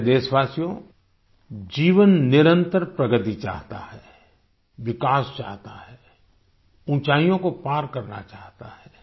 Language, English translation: Hindi, life desires continuous progress, desires development, desires to surpass heights